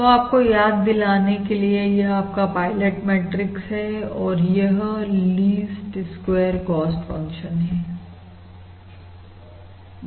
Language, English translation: Hindi, this is the pilot matrix and this is basically your least squares cost function